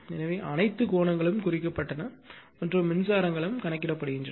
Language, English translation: Tamil, So, all the angles are marked and your current are also computed, right